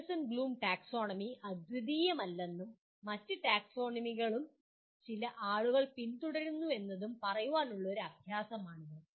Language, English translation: Malayalam, Now as an exercise to say that Anderson Bloom Taxonomy is not unique and other taxonomies are also followed by some people